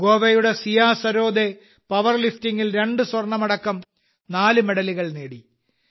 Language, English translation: Malayalam, Siya Sarode of Goa won 4 medals including 2 Gold Medals in power lifting